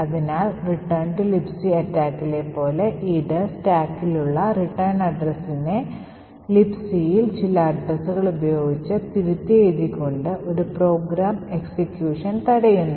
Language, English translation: Malayalam, So just like the return to libc attack it subverts execution of a program by overwriting the return address present in the stack with some address present in libc